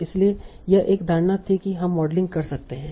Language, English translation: Hindi, Now, so this was one assumption that we can model